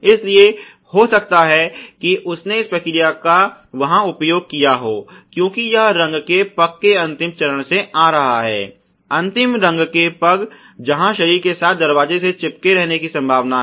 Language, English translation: Hindi, So, there he may have used this process ok, because it is coming from the last step of the paint step, last paint step where there is a possibility of sticking of the door with the body